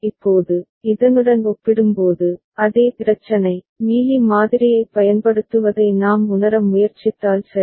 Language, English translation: Tamil, Now, compared to this, same problem, if we try to realize using Mealy model ok